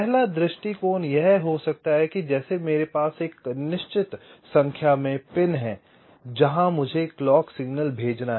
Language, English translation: Hindi, maybe, like i have a certain number of pins where i have to send the clock signal